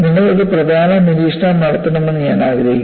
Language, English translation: Malayalam, So, I want you to make an important observation